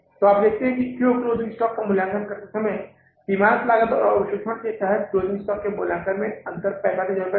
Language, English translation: Hindi, So you see why means while valuing the closing stock, the difference of the valuation of the closing stock under marginal costing and the absorption costing, the difference is of 45,000 rupees